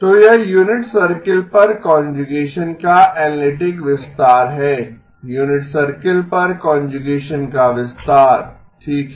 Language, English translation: Hindi, So this is the analytic extension of conjugation of on the unit circle, extension of conjugation on the unit circle okay